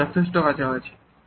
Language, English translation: Bengali, That is close enough